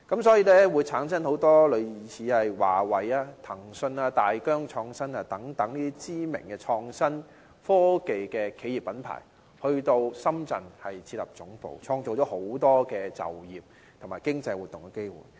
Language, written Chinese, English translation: Cantonese, 所以，很多類似華為、騰訊、大疆等知名創新科技企業和品牌，都到深圳設立總部，創造很多就業和經濟活動的機會。, Therefore many renowned innovation and technology enterprises and brands such as Huawei Tencent and DJI are headquartered in Shenzhen and they create many opportunities for employment and economic activities there